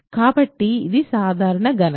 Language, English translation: Telugu, So, this is a simple calculation